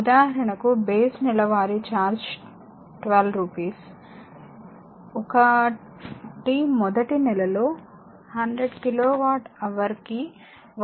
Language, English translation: Telugu, For example base monthly charge is rupees 12 first 100 kilowatt hour per month at rupees 1